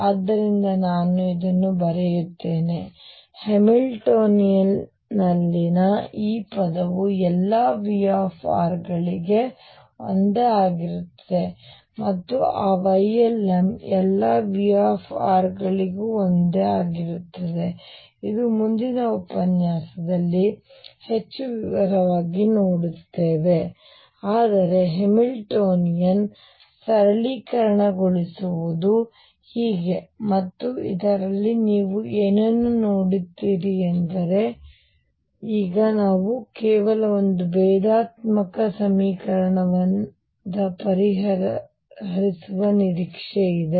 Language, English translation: Kannada, So, let me write this; this term in the Hamiltonian will be the same for all V r and those y L ms will also be the same for all V rs, this will see in more detail in the next lecture, but this is how the Hamiltonian gets simplified and what you see in this is that now we are expected to solve only a differential equation which is for r the theta phi components have been taken care of